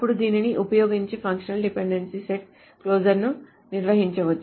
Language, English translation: Telugu, Then using this one can define a closure of a set of functional dependencies